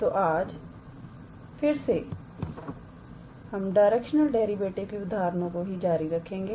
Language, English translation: Hindi, So, today we will again continue with our examples on Directional Derivative